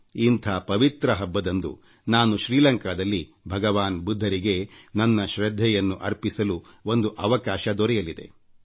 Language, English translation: Kannada, On this holy event I shall get an opportunity to pay tributes to Lord Budha in Sri Lanka